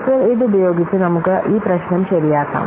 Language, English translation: Malayalam, And now with this, now let us take up this problem